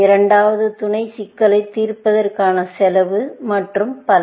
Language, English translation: Tamil, The second is the cost of solving the sub problems and so on